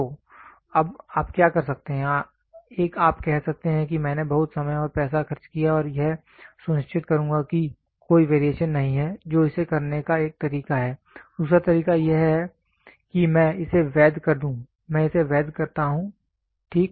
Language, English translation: Hindi, So, now, what you can do, one you can say I will spend hell a lot of time and money and make sure that there is no variation that is one way of doing it, the other way is doing it is I legalize it, I legalize it fine